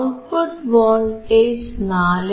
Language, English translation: Malayalam, 96; the output voltage is 4